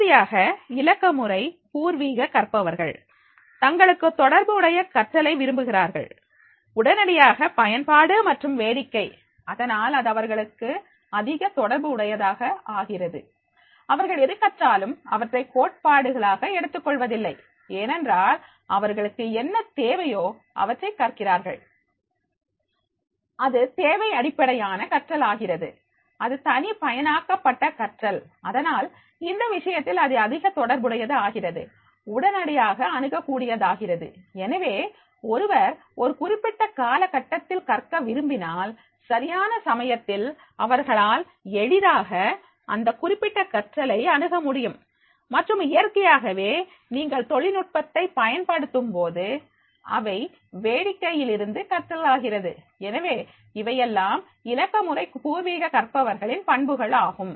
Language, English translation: Tamil, Finally, the digital native learners they prefer learning that is relevant, instantly useful and fun and therefore it becomes very much relevant for them, whatever they are learning, they do not take it is a theoretical because they are learning what they require to learn it is a needs based learning, it is the customized learning and therefore in that case that is becoming very much relevant, it is becoming very easy access instantly, so if somebody wants to learn from a particular time period, just in time period than in that case, he can easily access that particular learning and naturally when you are using the technology, it is becoming the fun to learn and therefore these are the characteristics of the digital native learners